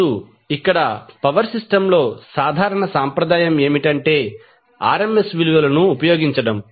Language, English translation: Telugu, Now, here the common tradition in the power system is, is the use of RMS values